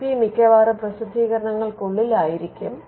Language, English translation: Malayalam, IP could most likely be within publications as well